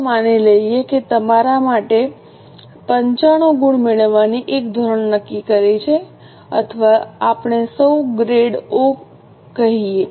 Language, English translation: Gujarati, Let us assume that you set up for yourself a standard of getting 95 marks or let us say O grade